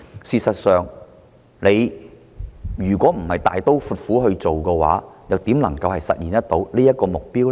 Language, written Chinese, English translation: Cantonese, 事實上，如政府不是大刀闊斧去做的話，又怎能實現這個目標？, In fact if the Government does not take a drastic step how can we achieve this goal?